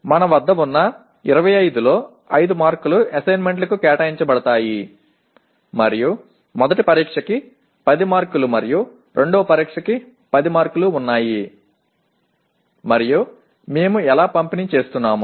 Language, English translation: Telugu, Out of 25 that we have, 5 marks are assigned to or given to assignments and test 1 has 10 marks and test 2 has 10 marks and how are we distributing